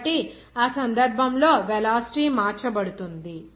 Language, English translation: Telugu, So, in that case, the velocity will be changed